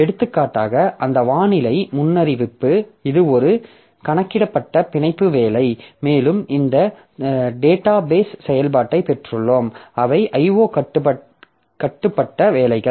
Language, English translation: Tamil, For example, that weather forecasting so that is a compute bound job and we have got this database operations so which are I